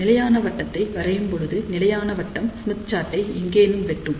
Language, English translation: Tamil, So, when you draw the stability circle, we know that stability circle will be cutting the Smith chart somewhere